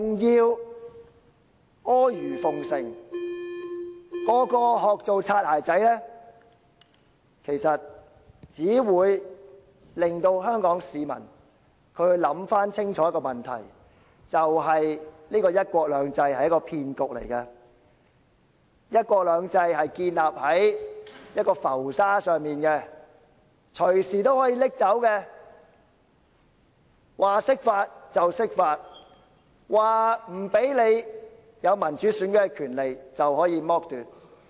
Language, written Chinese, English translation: Cantonese, 其實，這樣做只會令香港市民想清楚："一國兩制"是個騙局，"一國兩制"建立在浮沙上，隨時可以取走，說釋法便釋法，說不讓香港人有民主選舉的權利，就可以剝奪。, In fact this will only make Hong Kong people realize that one country two systems is a scam and that one country two systems is built on floating sand which can be taken away at any time . The interpretation of the Basic Law can be made at any time and Hong Kong people can be deprived of their rights to democratic elections at any time